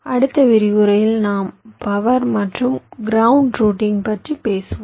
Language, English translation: Tamil, in our next lecture we shall be talking about power and ground routing